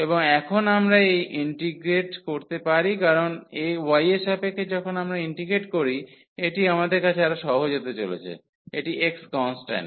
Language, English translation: Bengali, And now we can integrate this because with respect to y when we integrate, this is going to be easier we have this is x is constant